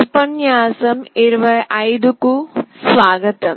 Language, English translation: Telugu, Welcome to lecture 25